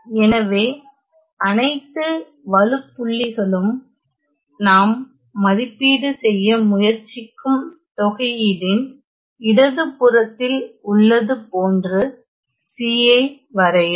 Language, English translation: Tamil, So, draw C such that all singularities lie to the left of the integral that we are trying to evaluate